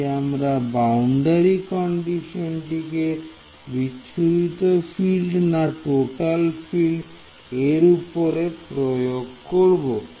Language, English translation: Bengali, So, the boundary condition should take care of scattered field not total field